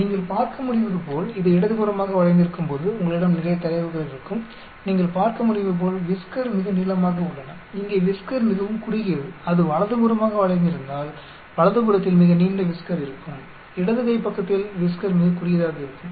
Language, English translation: Tamil, As you can see when it is skewed left, you will have lot of data as you can see the whisker very long, here the whisker is very short, if it is skewed right you will have very long whisker on right hand side , very short whisker on left hand side